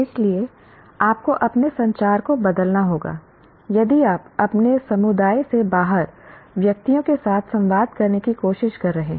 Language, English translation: Hindi, So you have to change your communication if you are trying to communicate with persons not belonging to your community